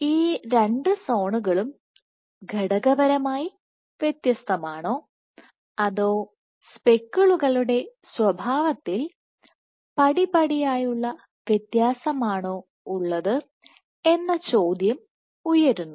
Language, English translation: Malayalam, So, the question then arises that is it that these two zones are materially distinct or just as a gradual difference in the behavior of the speckles